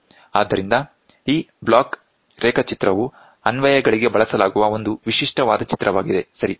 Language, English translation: Kannada, So, this block diagram so, it is a typical one which is used for the applications, right